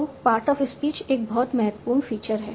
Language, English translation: Hindi, So part of speech is one very important feature